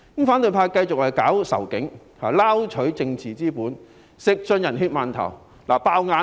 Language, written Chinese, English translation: Cantonese, 反對派繼續推動仇警情緒，撈取政治資本，吃盡"人血饅頭"。, The opposition camp continues to fuel the anti - police sentiment in order to fish for political capital reaping full benefits from the dead